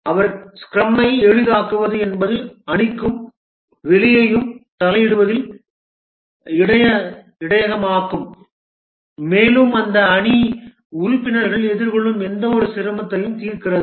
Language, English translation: Tamil, He facilitated the scrum is the buffer between the team and the outside interference and resolves any difficulties that the team members might be facing